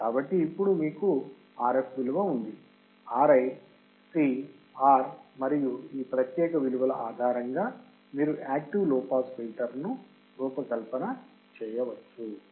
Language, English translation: Telugu, So, now, you have value of Rf, Ri, C, R and then, based on these particular values you can design this low pass active